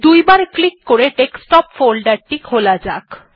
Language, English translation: Bengali, Lets open the Desktop folder by double clicking